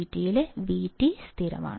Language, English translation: Malayalam, And VT is constant